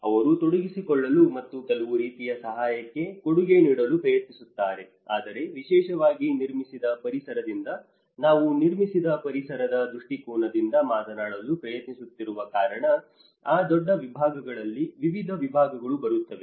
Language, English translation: Kannada, They try to get involved and try to contribute to some sort of assistance but then especially from the built environment because we are trying to talk from the built environment perspective, there are various disciplines comes within that bigger umbrella